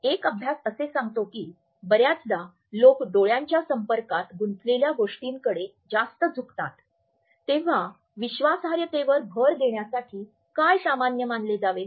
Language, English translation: Marathi, A studies tell us that often when people lie that tend to over gaze engaging in more eye contact then what is perceived to be normal in order to emphasize the trustworthiness